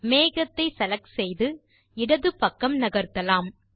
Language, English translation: Tamil, Let us select the cloud and move it to the left